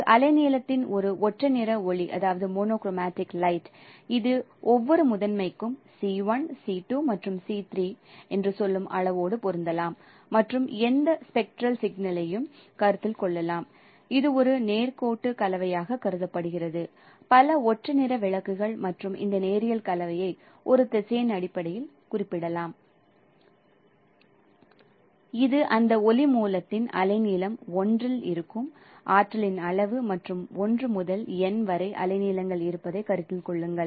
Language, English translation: Tamil, So a monochromatic light of lambda wavelength, it could be matched by the amount say c1, c2 and c3 for each primary and consider any spectral signal it is thought of as a linear combination of so many monochromatic lights and we can this linear combination is can be represented in terms of a vector so this is the amount of the energy which is there in the wavelength lambda 1 in that light source and consider there are wavelengths from lambda 1 to lambda n we can discretize the range of the wavelengths and consider and also use the amount of energy for each wavelength proportion or the which is present in that color signal